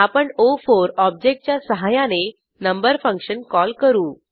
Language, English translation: Marathi, I will call the function number using the object o4